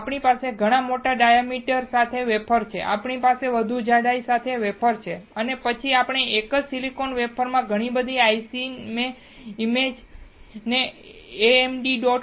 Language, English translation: Gujarati, Now we have wafer with much bigger diameter, we have wafer with much more thickness and then we can have many ICs on one single silicon wafer